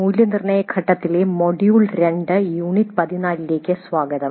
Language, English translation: Malayalam, Greetings, welcome to module 2, unit 14 on evaluate phase